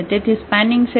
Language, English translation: Gujarati, So, what is the spanning set